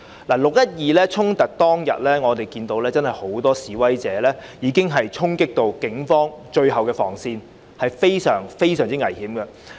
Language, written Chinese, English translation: Cantonese, "六一二"衝突當天，我們看到很多示威者已衝擊警方的最後防線，情況非常危險。, On 12 June when the clash occurred we saw a swarm of protesters charging the last cordon line of the Police which made the situation utterly dangerous